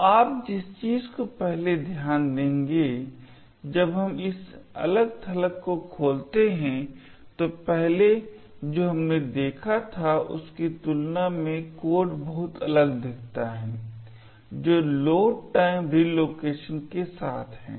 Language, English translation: Hindi, So, the first thing you notice when the open this disassembly is that the code looks very different compared to the one we seen previously that is with the load time relocation